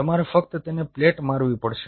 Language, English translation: Gujarati, you just have to pellet it